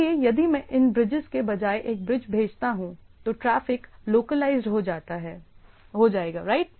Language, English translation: Hindi, So, if I send a instead that bridges, then the traffic are localized right, so localized